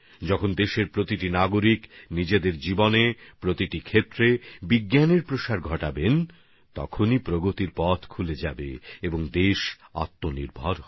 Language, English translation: Bengali, When every citizen of the country will spread the spirit of science in his life and in every field, avenues of progress will also open up and the country will become selfreliant too